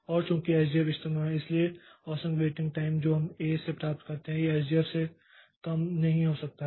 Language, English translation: Hindi, And since SJF is optimal, so average waiting time figure that we get from A cannot be less than this SJF